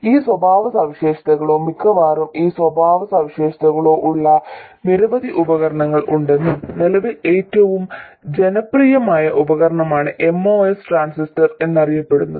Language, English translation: Malayalam, It turns out that there are many devices which have these characteristics or almost these characteristics and currently the most popular device is what is known as the Moss transistor